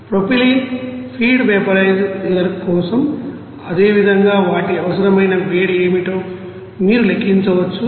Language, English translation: Telugu, For propylene feed vaporizer similarly you can calculate what should be the you know heat required for those